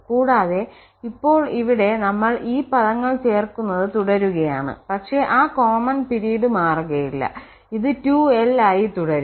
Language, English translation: Malayalam, And now here we are keep on adding these terms but that common period will not change that will remain 2l itself